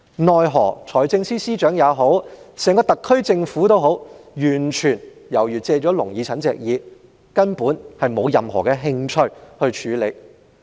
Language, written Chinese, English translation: Cantonese, 奈何，財政司司長以至整個特區政府皆好像借了"聾耳陳"的耳朵，根本沒有任何興趣處理。, Unfortunately it seems that the Financial Secretary and the entire SAR Government have turned a deaf ear to this suggestion and showed no interest to follow up